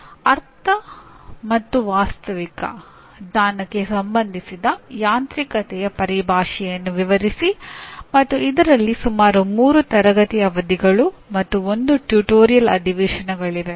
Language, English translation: Kannada, Illustrate the terminology of mechanism that is related to Understand and Factual Knowledge and there are about 3 classroom sessions and 1 tutorial session